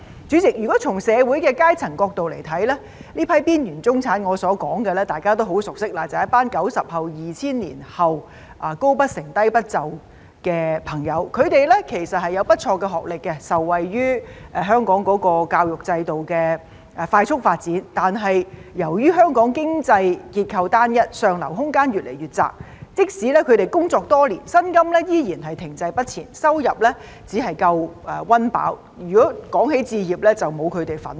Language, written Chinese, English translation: Cantonese, 主席，如果從社會階層的角度來看，我所說的這批邊緣中產，大家都很熟悉，便是一群 "90 後"、"2000 年後"，"高不成，低不就"的朋友，他們其實有不錯的學歷，受惠於香港的教育制度的快速發展，但由於香港經濟結構單一，上流空間越來越窄，即使他們工作多年，薪金仍然停滯不前，收入只足夠溫飽，如果要說置業，則沒有他們的份兒。, President from the perspective of social strata these marginalized middle - class people whom I am talking about refer to as we know very well a group of post - 90s or post - 2000s whose education levels are too low for high positions but too high for low ones . Thanks to the rapid development of the education system in Hong Kong actually their academic qualifications are quite good . But given the unitary economic structure of Hong Kong the room for upward mobility has become narrower and narrower